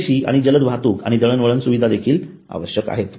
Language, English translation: Marathi, Adequate and fast transportation and communication facility is also required